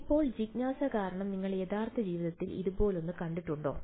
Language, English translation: Malayalam, Now just out of curiosity have you seen something like this in real life